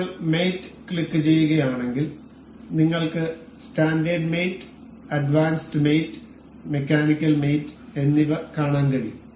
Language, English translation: Malayalam, If you click on mate we can see standard mates advanced mates and mechanical mates